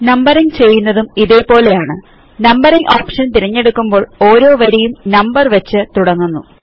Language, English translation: Malayalam, Numbering is done in the same way, by selecting the numbering option and every line will start with a new number